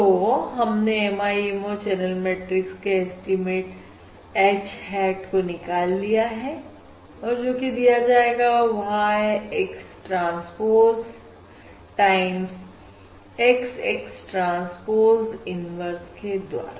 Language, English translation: Hindi, We have said that the MIMO, We have derived that the MIMO channel matrix estimate H hat is given as Y, X transpose times, X, X transpose inverse